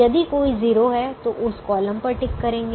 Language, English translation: Hindi, if there is a zero, tick that column